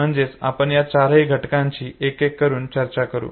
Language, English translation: Marathi, So we will talk about all four of them one by one